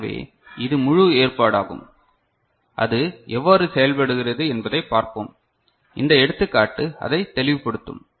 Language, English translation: Tamil, So, this is the whole arrangement and let us see how it works; this example will make it clear right